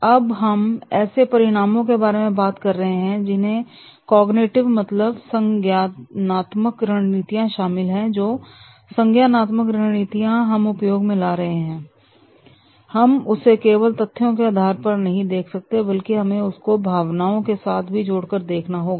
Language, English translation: Hindi, Now, whenever we are talking about the outcomes that includes the cognitive strategies, all cognitive strategies which we are using, then we cannot leave them just on the basis of the facts, but that has to be connected with the emotions